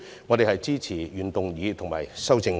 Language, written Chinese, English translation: Cantonese, 我們支持原議案和修正案。, We support the original motion and its amendment